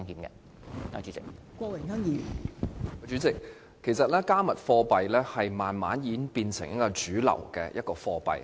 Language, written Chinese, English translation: Cantonese, 代理主席，其實"加密貨幣"已逐漸變成一種主流貨幣。, Deputy President cryptocurrencies have in fact gradually become a kind of mainstream currencies